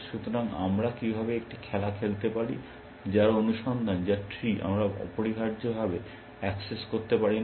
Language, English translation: Bengali, So, how do we play a game, whose search whose tree we cannot access essentially